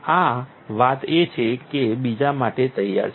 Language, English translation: Gujarati, This thing is that it is ready for another one